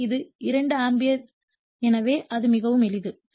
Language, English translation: Tamil, So, it is actually 2 ampere right so, very simple